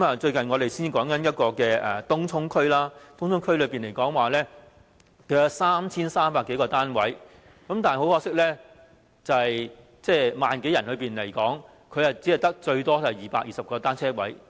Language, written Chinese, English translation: Cantonese, 最近我們談及東涌區，區內有 3,300 多個單位，但很可惜 ，1 萬多名居民，最多只有220個單車泊位。, Recently we have talked about the Tung Chung district where there are 3 300 - odd housing units . Yet regrettably with more than 10 000 residents there are at most only 220 bicycle parking spaces